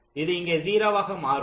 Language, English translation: Tamil, it will become zero here